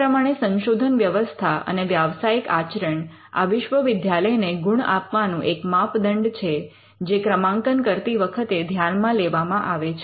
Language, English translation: Gujarati, So, Research and Professional Practices is one of the criteria for which universities get points and which is considered into ranking